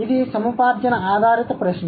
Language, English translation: Telugu, This is an acquisition based question